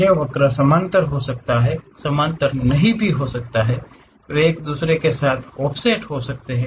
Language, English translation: Hindi, These curves might be parallel, may not be parallel; they might be offset with each other also